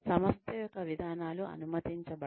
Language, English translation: Telugu, The organization 's policies may not permitted